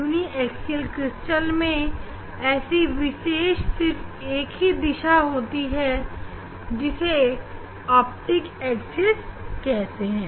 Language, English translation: Hindi, uniaxial crystals it has a one direction it is called optics axis